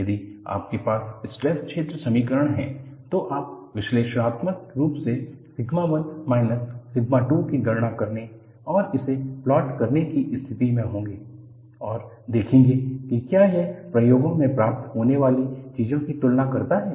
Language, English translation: Hindi, If you have the stress field equations, you would be in a position to calculate analytically sigma 1 minus sigma 2 and plot it and see, whether it compares with whatever that is obtained in the experiments